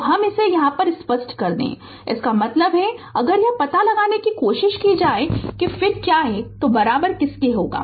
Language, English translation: Hindi, So, let me clear it so; that means, if you try to find out that that what is the then then what is the equivalent one